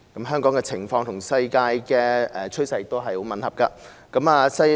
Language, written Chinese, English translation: Cantonese, 香港的情況與世界趨勢很吻合。, The situation in Hong Kong is very much in line with the world trend